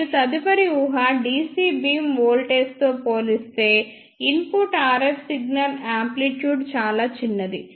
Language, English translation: Telugu, And the next assumption is input RF signal amplitude is very small as compared to the dc beam voltage